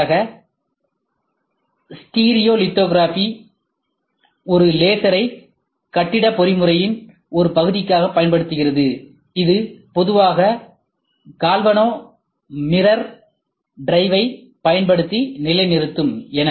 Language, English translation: Tamil, For example, stereo lithography use a laser as part of the building mechanism that will normally be position using a galvano mirror drive